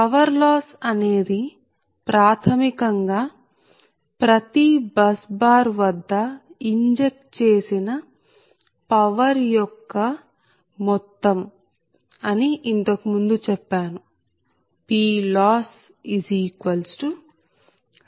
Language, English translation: Telugu, so earlier i have told you that power loss is basically, it is sum of the ah power injected at every bus bar